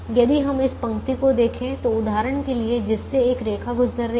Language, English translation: Hindi, similarly, if we take a column, if we take this column where a line is actually passing through